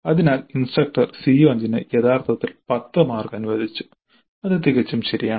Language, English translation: Malayalam, So the instructor has allocated actually 10 marks to CO5 that is perfectly alright